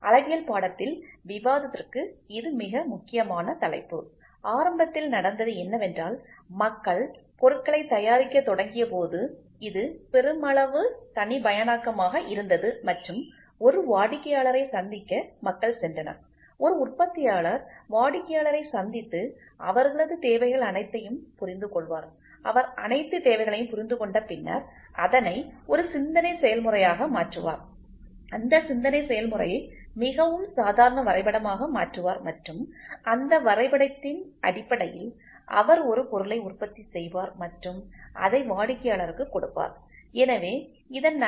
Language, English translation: Tamil, This is a very very important topic for discussion in the course of Metrology, what happened initially was initially people when they started producing things, it was all more of mass customization and people used to meet a customer, a manufacturer used to meet a customer understand all his requirements whatever it is he use to understand all his requirement then he puts a thought process on it converts that the thought process into a very rough drawing and based on that drawing he tries to manufacture a product and give it back to the customer